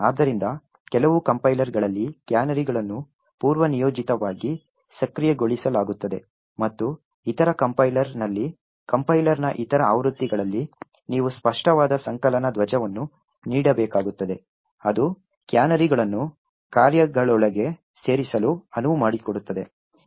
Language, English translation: Kannada, So, in some compilers the canaries are enable by default while in other compiler, other versions of the compiler you would have to give an explicit compilation flag that would enable canaries to be inserted within functions